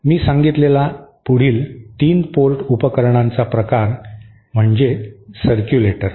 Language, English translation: Marathi, The next class of 3 port devices that I stated was circulators